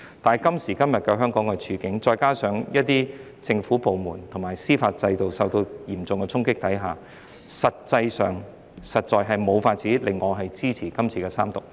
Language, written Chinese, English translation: Cantonese, 但是，今時今日香港的處境，再加上一些政府部門及司法制度受到嚴重衝擊下，實在無法令我支持三讀《條例草案》。, However given the present situation in Hong Kong with some government departments and the judicial system under severe attack I really cannot support the Third Reading of the Bill